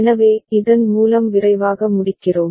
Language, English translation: Tamil, So, with this we conclude quickly